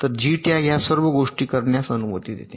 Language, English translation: Marathi, so jtag allows all this things to be done